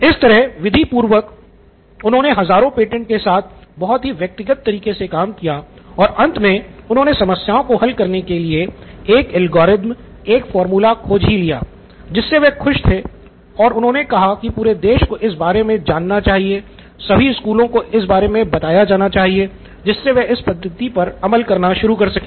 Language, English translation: Hindi, So he did that very methodically with thousands and thousands of these patents and finally figured out that a way an algorithm or a formula to actually solve the problem and he was happy about it and he said this is great this is extremely excited about this idea and he said the whole nation has to know about this, all the schools have to know about this they have to start doing this, they have to start embarking on this method